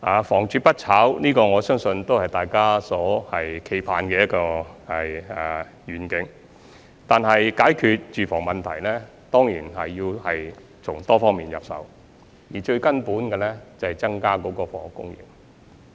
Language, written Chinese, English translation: Cantonese, 房住不炒，我相信是大家期盼的願景，但解決住房問題，當然要從多方面入手，而最根本的，就是要增加房屋供應。, Housing is for living and not speculation . I believe this is the vision we all aspire to . However in order to solve the housing problems we have to adopt a multi - pronged approach and the crux of the solution lies in increasing the housing supply